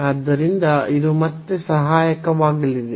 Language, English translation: Kannada, So, this will be again helpful